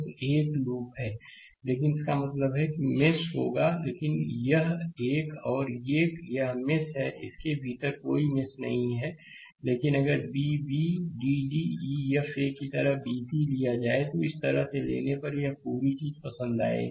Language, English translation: Hindi, So, it is a loop, but it mesh means there will be there, but this one and this one; it is a mesh, there is no loop within that, but if you take a b c like a b c d e f a, I will like this whole thing if you take like this